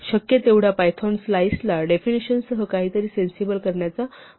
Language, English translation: Marathi, As far as possible python tries to do something sensible with the slice definition